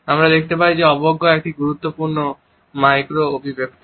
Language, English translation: Bengali, We find that contempt is also an important micro expression